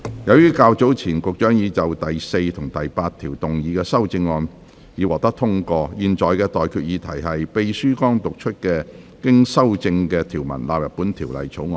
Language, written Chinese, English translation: Cantonese, 由於較早前運輸及房屋局局長就第4及8條動議的修正案已獲得通過，我現在向各位提出的待決議題是：秘書剛讀出經修正的條文納入本條例草案。, As the amendments to clauses 4 and 8 moved by the Secretary for Transport and Housing have been passed earlier I now put the question to you and that is That the clauses as amended just read out by the Clerk stand part of the Bill